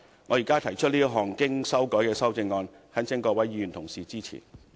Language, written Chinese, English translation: Cantonese, 我現在提出這項經修改的修正案，懇請各位議員支持。, I now propose this revised amendment and implore Members to render it their support